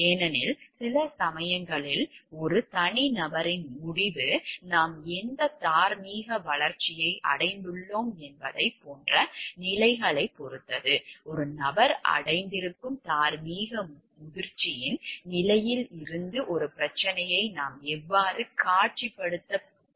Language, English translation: Tamil, Because, sometimes the decision taken by an individual depends on the stages of like what stage of moral development you have reached; how at how you can visualize a problem from the stages of moral maturity that a person has reached